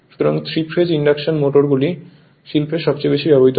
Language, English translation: Bengali, So, 3 phase induction motors are the motor most frequency encountered in industry